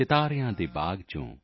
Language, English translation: Punjabi, From the garden of the stars,